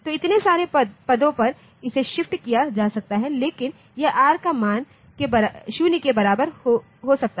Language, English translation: Hindi, So, up so many positions it can be shifted, but this r value r can be equal to 0